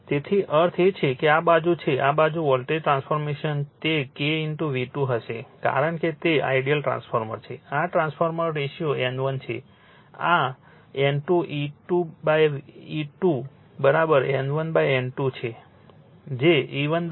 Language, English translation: Gujarati, That means this side that means, this side voltage transformation it will be K into V 2 because it is ideal transfer this trans ratio is N 1 this is N 2 E 1 upon E 2 is equal to N 1 upon N 2 that is your E 1 upon E 2 is equal to your N 1 upon N 2, right